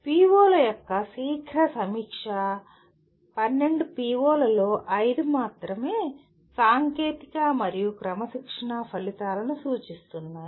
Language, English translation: Telugu, And a quick review of the POs indicates only 5 of 12 POs are dominantly technical and disciplinary outcomes